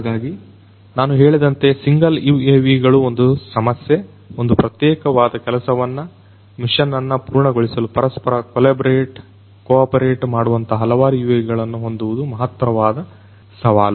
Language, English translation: Kannada, So, single UAVs as I told you is an issue, having multiple UAVs which basically collaborate cooperate with each other in order to accomplish a particular task a mission that is a farther challenge